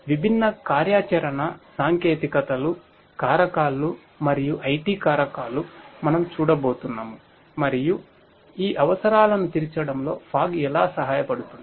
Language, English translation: Telugu, So, different operation technologies factors and IT factors is what we are going to look at and how fog can help in addressing these requirements